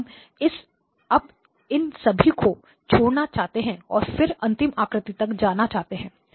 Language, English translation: Hindi, And we just want to sort of leave the all of these and then go all the way to the last image